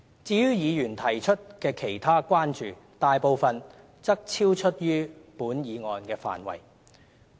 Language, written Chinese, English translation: Cantonese, 至於議員提出的其他關注，大部分則超出本議案的範圍。, Other concerns raised by Members are mostly outside the scope of this resolution